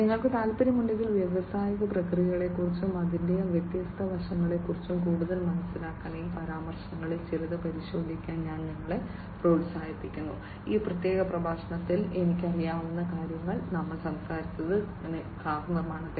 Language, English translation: Malayalam, And if you are interested, and I would encourage you in fact to go through some of these references to have further understanding about the industrial processes, the different aspects of it, what are the I know in this particular lecture, we have talked about the car manufacturing